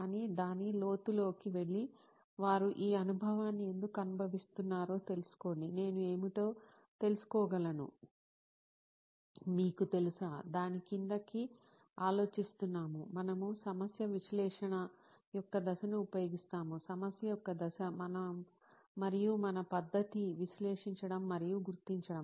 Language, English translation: Telugu, But go into the depth of it and find out why is it that somebody is going through this experience, can I find out what is, you know, simmering under that, we use the step of problem analysis, the stage of problem we and our method is to analyse and figure it out